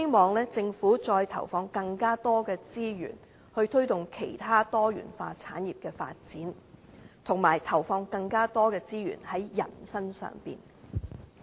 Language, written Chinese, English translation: Cantonese, 但是，我亦希望政府再投放更多資源，推動其他多元化產業的發展，以及投放更多資源在人身上。, However I still hope the Government can add more resources to promote the development of other diversified industries as well as deploying more resources on people